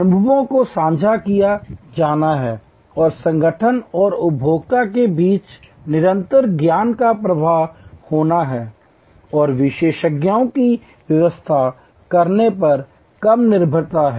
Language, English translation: Hindi, Experiences are to be shared and there has to be a continuous knowledge flow between the organization and the consumer and less reliance on interpreting experts